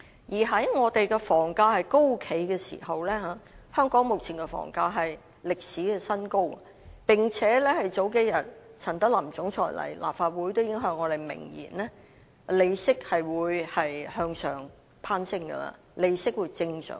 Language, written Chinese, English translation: Cantonese, 現時我們的房價高企，目前的房價更是歷史新高，並且在數天前，陳德霖總裁出席立法會會議時已向我們明言，利息將向上攀升並正常化。, Now our property prices are soaring with the current property prices hitting a record high . What is more a few days ago when he attended a meeting in the Legislative Council Chief Executive Norman CHAN told us expressly that the interest rate would rise and normalize